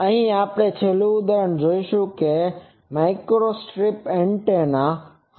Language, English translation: Gujarati, Now, we will see the last example that will be microstrip antenna